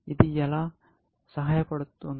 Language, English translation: Telugu, How will it help